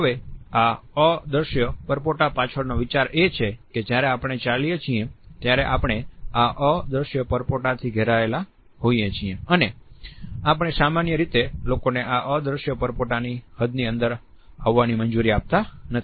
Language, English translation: Gujarati, Now, the idea behind this invisible bubble is that, when we walk we are surrounded by this invisible bubble and we normally do not allow people to encroach upon this invisible bubble